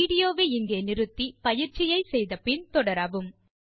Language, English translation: Tamil, Pause the video here, try out the following exercise and resume